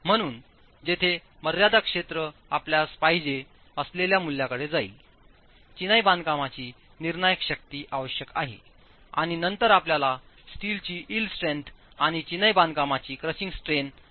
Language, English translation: Marathi, So as far as the limit state approach, the values that you would require, the crushing strength of masonry is required, f prime m, and then you need the yield strength of steel and the strain in masonry, crushing strain in masonry